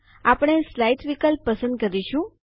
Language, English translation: Gujarati, We will choose the Slides option